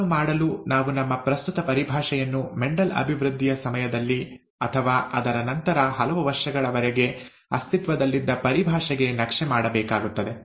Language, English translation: Kannada, To do that, let us, we will have to map our current terminology to the terminology that existed during the development by Mendel, okay, or, soon after that for many years